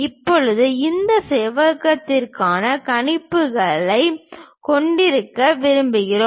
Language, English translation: Tamil, Now, we would like to have projections for this rectangle